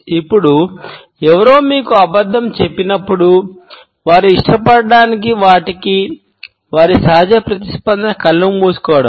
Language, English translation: Telugu, Now, when somebody is lying to you, their natural response is to cover their eyes to something that they do not like